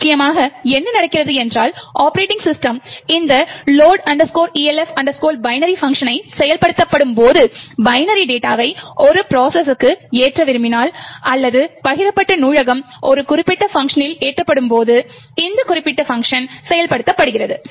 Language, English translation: Tamil, Essentially what is happening is that when the operating system invokes this function load elf binary, so this particular function is invoked when you want to either load binary data to a process or a shared library gets loaded into a particular process